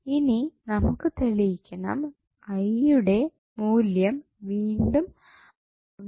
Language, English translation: Malayalam, So, now, we have to prove this value of I again would be 1